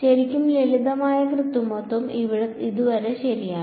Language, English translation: Malayalam, Really simple manipulation so far ok